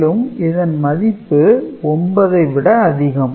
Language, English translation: Tamil, So, the number is more than 9